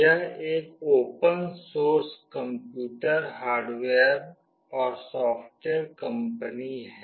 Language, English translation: Hindi, It is an open source computer hardware and software company